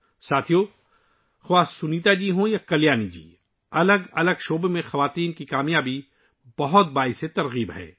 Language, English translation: Urdu, Friends, whether it is Sunita ji or Kalyani ji, the success of woman power in myriad fields is very inspiring